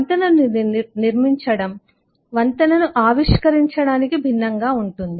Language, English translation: Telugu, so constructing a bridge is different from innovating a bridge